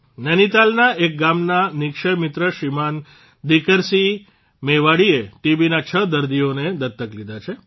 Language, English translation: Gujarati, Shriman Dikar Singh Mewari, a Nikshay friend of a village in Nainital, has adopted six TB patients